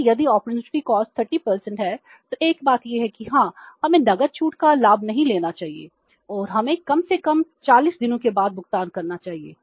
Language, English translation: Hindi, So, if the opportunity cost is 30 percent then there is a point to think that yes we should not avail the cash discount and we should make the payment after at least 40 days